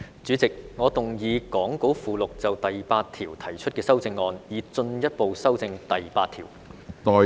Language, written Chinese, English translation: Cantonese, 主席，我動議講稿附錄就第8條提出的修正案，以進一步修正第8條。, Chairman I move my amendment to clause 8 set out in the Appendix to the Script to further amend clause 8